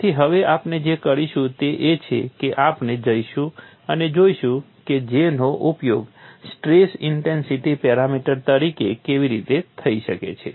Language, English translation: Gujarati, So, now what we will do is, we will go and see how J can be used as a stress intensity parameter